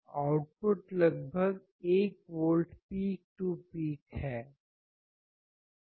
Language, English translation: Hindi, Output is about 1 volts peak to peak